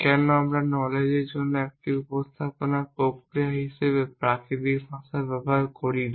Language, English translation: Bengali, Why do not we use natural language as a representation mechanism for knowledge